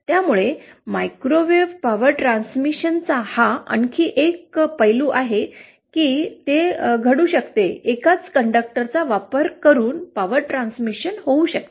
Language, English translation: Marathi, So that is another aspect of microwave power transmission that it can happen, the power transmission can happen using a single conductor